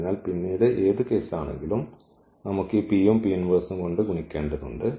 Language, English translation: Malayalam, So, and then later on we have to in any case just multiply by this P and the P inverse